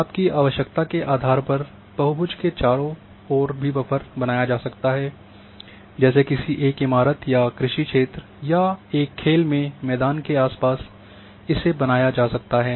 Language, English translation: Hindi, Buffer also around around a polygon can also be created like around a building or a agriculture field or a playground depending on your requirement